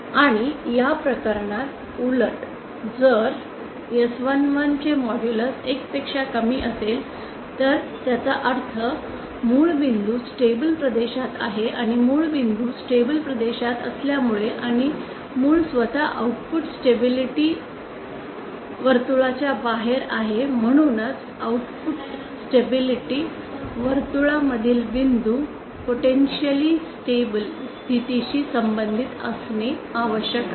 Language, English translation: Marathi, And just the reverse in this case where modulus of s11 is lesser than 1 then it means the origin point is lies in the stable region and since origin point is lies in the stable region and the origin itself is outside the output stability circle hence all points inside the output stability circle must be must corresponds to potentially unstable state